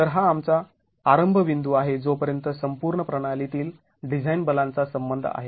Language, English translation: Marathi, So, this is our starting point as far as the overall system design forces are concerned